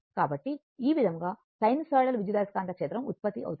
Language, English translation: Telugu, So, this way this is the sinusoidal EMF generated